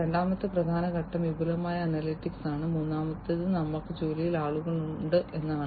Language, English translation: Malayalam, The second key element is advanced analytics, and the third one is we have people at work